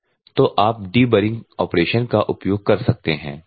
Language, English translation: Hindi, So, you can use for the deburring operation